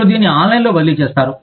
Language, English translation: Telugu, You transfer it online